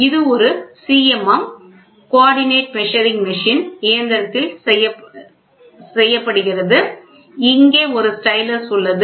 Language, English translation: Tamil, This is done on a CMM machine and here is a stylus